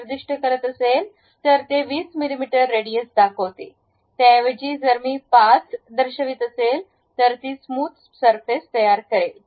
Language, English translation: Marathi, Instead of that, if I am going to specify 20 mm, it shows 20 mm radius; instead of that if I am showing 5, a smooth surface it will construct